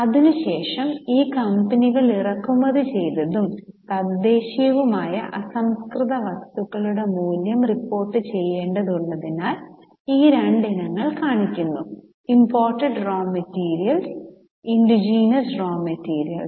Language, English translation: Malayalam, After this company is required to report the value of imported and indigenous raw material so these two items are shown imported raw material indigenous raw material then So, these two items are shown